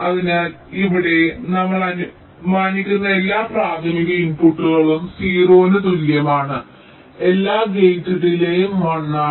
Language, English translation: Malayalam, so here we assume that all primary inputs arriving at t equal to zero, all gate delays are one